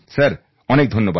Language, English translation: Bengali, Sir thank you so much sir